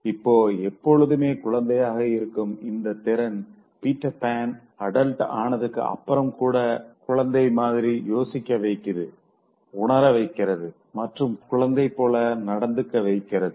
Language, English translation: Tamil, Now the ability to remain child forever makes this Peter Pan although growing as an adult still thinking and feeling and acting like a child